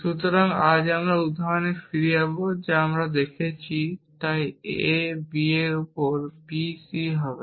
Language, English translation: Bengali, So, today, we will we will go back to this example that we saw and so on a b on b c